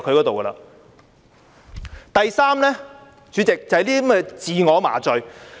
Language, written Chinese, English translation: Cantonese, 第三，主席，他們是在自我麻醉。, Third President they are indulged in self - delusion